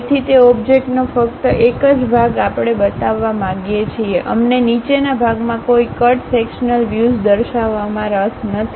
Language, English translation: Gujarati, So, only part of that object we would like to really show; we are not interested about showing any cut sectional view at bottom portion